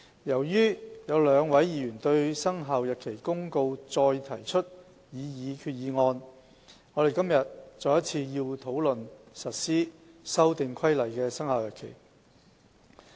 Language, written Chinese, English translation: Cantonese, 由於有兩位議員對《生效日期公告》再提出決議案，我們今天要再一次討論實施《修訂規例》的生效日期。, Today as two Members have proposed further resolutions against the Commencement Notice we have to discuss once again the commencement of the Amendment Regulation